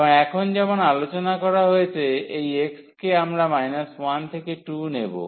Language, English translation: Bengali, And now for the x as discussed we will take from minus 1 to 2 minus 1 to 2